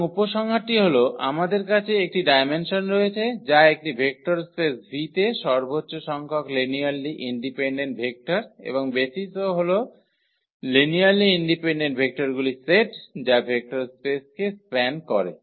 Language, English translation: Bengali, So, the conclusion is that we have the dimension which is the maximum number of linearly independent vectors in a vector space V and the basis is a set of linearly independent vectors that span the vector space